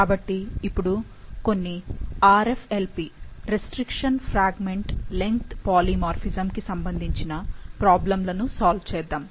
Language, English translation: Telugu, So, now we will solve some RFLP, restriction fragment length polymorphism problems